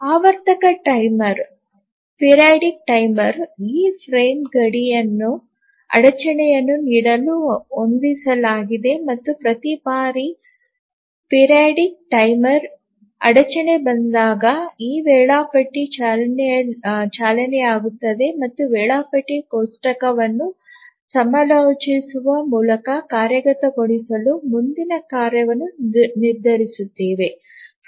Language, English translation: Kannada, And the periodic timer is set to give an interrupt at these frame boundaries and each time a periodic timer interrupt comes, the scheduler runs and decides the next task to execute by consulting the schedule table